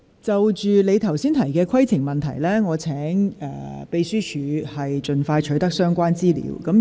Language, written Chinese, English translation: Cantonese, 就鄭松泰議員剛才提出的規程問題，請秘書處人員盡快取得相關資料。, With regard to the point of order raised by Dr CHENG Chung - tai will staff members of the Secretariat obtain the relevant information as soon as possible